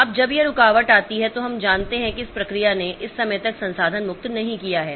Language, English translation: Hindi, So, now when this interrupt comes then we know that the process has not released the resource by this time